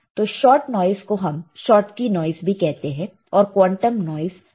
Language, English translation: Hindi, So, shot noise is also called Schottky noise or shot form of noise is also called quantum noise